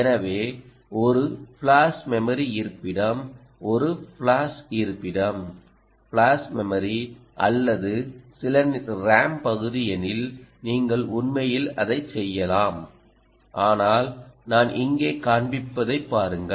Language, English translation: Tamil, so if there is, let us say, a flash memory location, either a flash location, flash memory, or if some ram area, right, ah, you can actually ah also do that